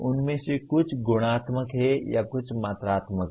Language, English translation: Hindi, Some of them are qualitative or some are quantitative